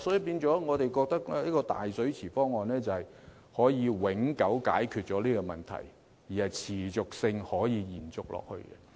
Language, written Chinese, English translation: Cantonese, 因此，我們認為這個"大水池方案"可以永久解決這個問題，並可持續地延續下去。, In light of these we consider the big pool proposal a permanent solution to the problem and it is perpetually sustainable